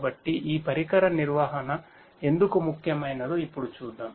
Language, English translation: Telugu, So, let us now look at why this device management is important